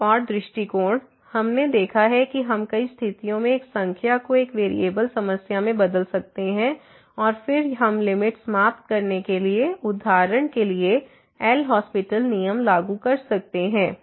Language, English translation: Hindi, Another approach we have seen that we can convert in many situation a number into one variable problem and then, we can apply L’Hospital’ rule for example, to conclude the limit